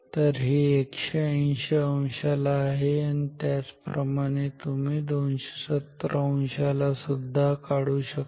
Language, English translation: Marathi, So, this is at 180 degree similarly you can draw for 270 degree